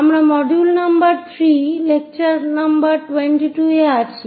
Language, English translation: Bengali, We are in module number 3, lecture number 22